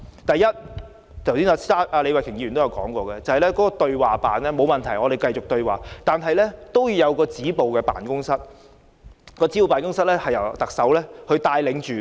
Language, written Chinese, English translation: Cantonese, 第一，設立李慧琼議員剛才提到的"對話辦公室"——沒有問題，我們繼續對話——之外，還要設立一個由特首帶領的"止暴辦公室"。, Firstly apart from setting up a Dialogue Office mentioned by Ms Starry LEE just now―no problem let us keep having dialogues―a Stop Violence Office under the charge of the Chief Executive should also be set up